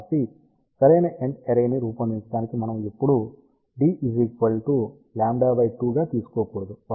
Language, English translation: Telugu, So, just to tell you to design a proper end fire array we should never ever take d is equal to lambda by 2